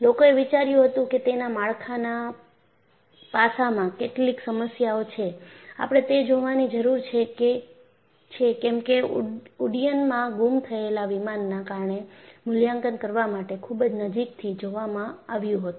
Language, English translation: Gujarati, So, people thought, there are some problems in the structural aspect of it; that needs to be looked at because aircrafts missing mysteriously in flight was to be looked at very closely to assess the reason